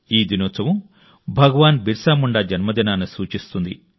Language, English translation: Telugu, This special day is associated with the birth anniversary of Bhagwan Birsa Munda